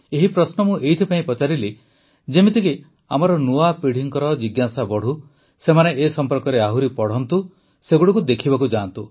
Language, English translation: Odia, I asked these questions so that the curiosity in our new generation rises… they read more about them;go and visit them